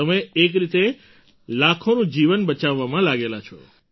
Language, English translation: Gujarati, In a way, you are engaged in saving the lives of lakhs of people